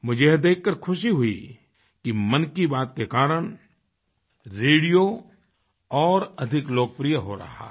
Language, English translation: Hindi, I am overjoyed on account of the fact that through 'Mann Ki Baat', radio is rising as a popular medium, more than ever before